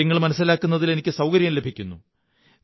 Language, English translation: Malayalam, That helps me a lot in understanding things